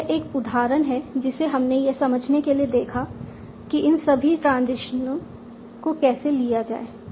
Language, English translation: Hindi, So now this is an example we have seen just to understand how to take all these transitions